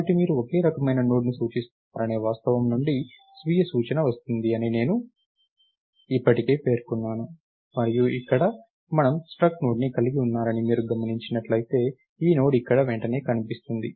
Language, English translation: Telugu, I already mentioned self referentiality comes from the fact that you are referring to a node of the same type and here if you notice we have struct Node here this Node is immediately visible here